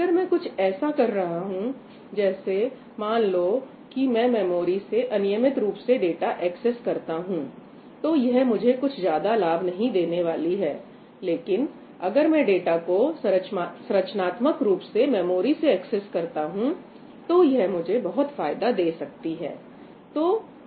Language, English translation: Hindi, If I am doing something like, let us say, something that is just accessing data randomly in the memory, it is not going to give me a lot of benefit, but if I am accessing data in a structured way in the memory, it gives me a lot of